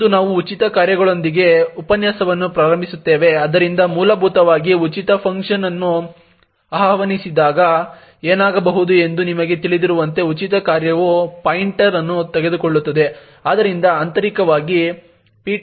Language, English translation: Kannada, Now today we will start the lecture with the free functions, so essentially what could happen when the free function gets invoked as you know the free function would take a pointer